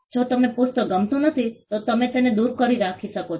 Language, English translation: Gujarati, If you do not like the book, you can keep it away